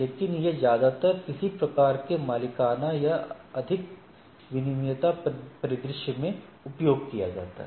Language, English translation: Hindi, But, that is mostly used in some sort of a proprietary or more regulated scenario